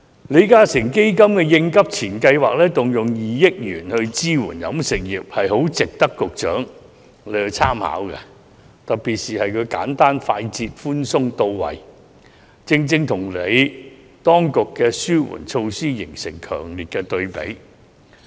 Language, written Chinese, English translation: Cantonese, 李嘉誠基金會的"應急錢"計劃，動用2億元支援飲食業，是很值得局長參考的，該計劃特點是簡單、快捷、寬鬆和到位，正正與當局的紓困措施形成強烈對比。, The Crunch Time Instant Relief Fund scheme introduced by the Li Ka Shing Foundation will grant some 200 million to support the catering industry . This is worthy of the Secretarys reference . The scheme is characterized by being simple speedy lenient and targeted making a stark contrast with the relief measures of the authorities